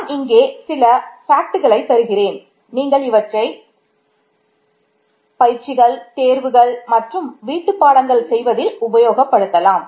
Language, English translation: Tamil, So, I will give you a couple of facts here which you may use in exercises and exams and homeworks and you will learn these in a different course